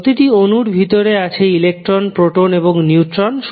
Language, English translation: Bengali, Inside the atom you will see electron, proton, and neutrons